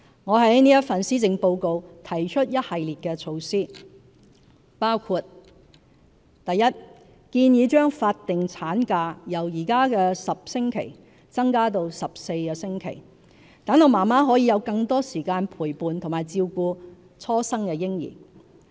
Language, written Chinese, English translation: Cantonese, 我在本份施政報告提出一系列措施，包括： 1建議將法定產假由現時10星期增至14星期，讓媽媽可以有更多時間陪伴和照顧初生嬰兒。, In this regard I propose in this Policy Address a series of measures including the following i we propose to extend the statutory maternity leave from the current 10 weeks to 14 weeks so that mothers will have more time to spend with and take care of their newborn babies